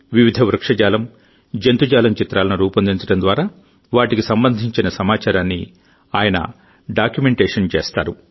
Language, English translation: Telugu, He documents the information related to them by making paintings of varied Flora and Fauna